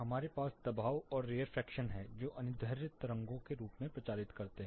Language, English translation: Hindi, We have compressions and rarefaction some propagates as longitudinal waves